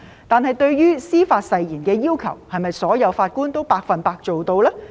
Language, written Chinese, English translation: Cantonese, 但是，對於司法誓言的要求，是否所有法官都百分之一百做到呢？, However can all judges fully meet these requirements of the Judicial Oath?